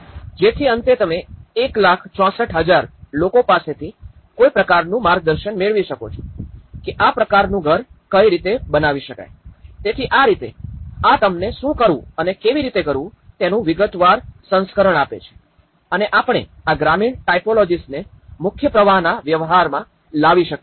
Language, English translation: Gujarati, So that at the end you are able to come up with some kind of guidance from 1 lakh 64,000 one is able to get this kind of house, right so, in that way, this is giving you a detailed version of what to do and how we can bring these rural typologies into the mainstream practice